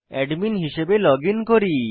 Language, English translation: Bengali, Let us login as the admin